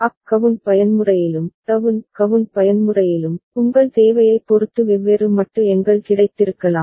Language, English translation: Tamil, And in up count mode and down count mode, there could have been different modulo numbers available depending on your requirement ok